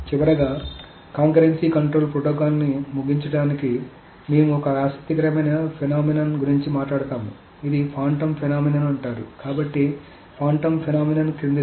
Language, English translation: Telugu, To finally finish the concurcy control protocol we will talk about one interesting phenomenon which is called a phantom phenomenon